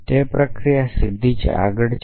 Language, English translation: Gujarati, So, the process is straight forward